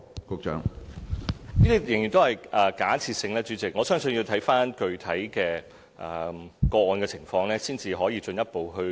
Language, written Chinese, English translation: Cantonese, 主席，這些情況仍然是假設性，我相信要視乎具體的個案，才可以進一步評論。, President the question is still based on assumption . I believe it depends on individual cases otherwise we cannot discuss further